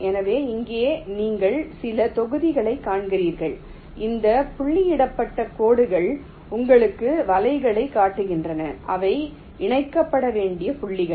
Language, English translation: Tamil, so so here you see some blocks and this dotted lines show you ah, the nets, the points which need to be connected